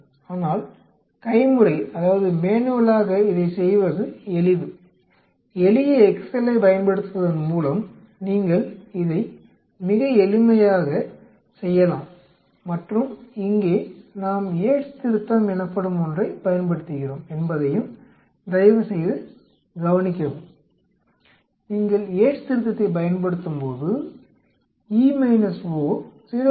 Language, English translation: Tamil, But it is quite simple to do it manually, you can do this very simply by using a simple excel and here please note that we use a something called Yate’s correction and when you use an Yate’s correction the expected minus observed goes down by 0